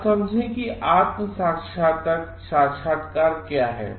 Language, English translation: Hindi, Now, what is self realization